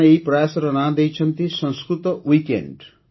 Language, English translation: Odia, The name of this initiative is Sanskrit Weekend